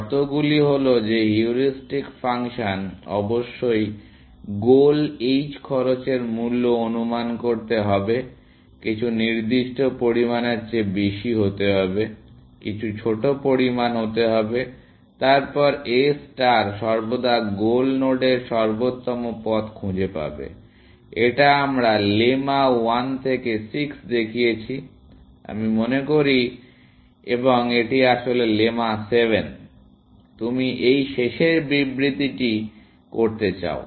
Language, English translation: Bengali, The conditions are that the heuristic function must under estimate the cost to the goal h cost, must be more than some specified amount, some small amount, then A star will always find optimal paths to the goal node; that is what we showed in lemmas 1 to 6, I think, and this is actually in lemma 7; the last of the statements that you want to make